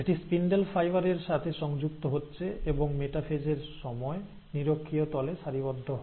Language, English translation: Bengali, It is attaching to the spindle fibre and it aligns to the equatorial plane during the metaphase